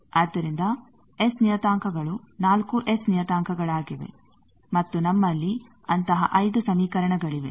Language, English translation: Kannada, So, S parameters are 4 S parameters and we have 5 such equations, we have 5 such equations